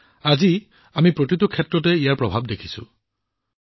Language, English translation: Assamese, And today we are seeing its effect in every field